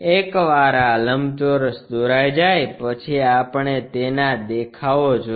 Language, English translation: Gujarati, Once this rectangle is constructed, we want views of that